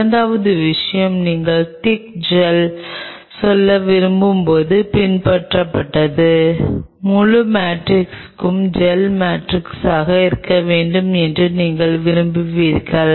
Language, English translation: Tamil, Second thing followed when you wanted to make a thick gel say for example, you want it the whole matrix to be a gel matrix